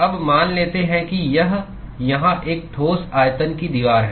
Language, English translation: Hindi, Now, let us assume that it is a solid volume wall here